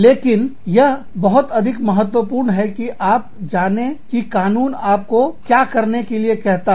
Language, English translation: Hindi, But, it is very important to find out, what the law tells you, to do